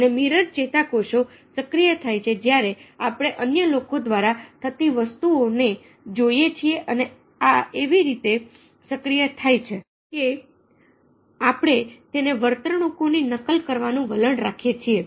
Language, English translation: Gujarati, and mirror neurons get activated when we see things happening ah ok by others and these activities in such a way that we tend to copy those behaviours and when that happens, we have experience of experiences of empathy